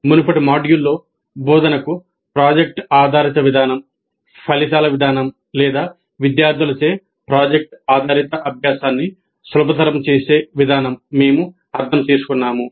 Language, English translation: Telugu, In the earlier module we understood project based approach to instruction, an approach that results in or an approach that facilitates project based learning by students